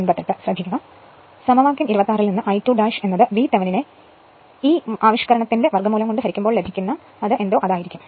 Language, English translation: Malayalam, And from equation 26, then I 2 dash will be V Thevenin upon root over this expression this we know right already we know